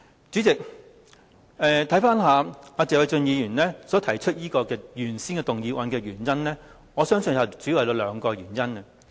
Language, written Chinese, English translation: Cantonese, 主席，謝偉俊議員提出譴責議案，我相信有兩個主要原因。, President I think Mr Paul TSE has proposed a censure motion for two main reasons